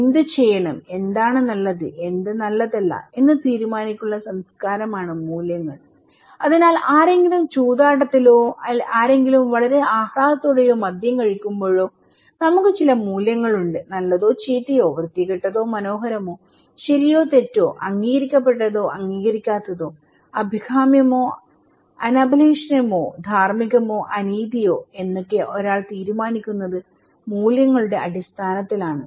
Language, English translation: Malayalam, Values are culture standard for what to do, what is good, what is not good to decide okay, so when somebody is gambling or somebody is very flamboyant or somebody is taking alcohol, we have some kind of values, somebody saying is good or bad, ugly or beautiful, right or wrong, it could be also kind of accepted or unaccepted, desirable and undesirable, ethical unethical